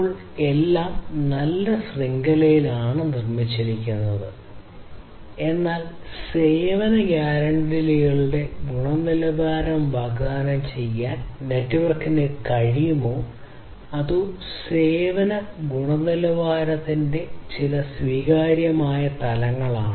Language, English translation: Malayalam, Now everything is fine network has been built, but then whether the network is able to offer the quality of service guarantees or at least some acceptable levels of quality of service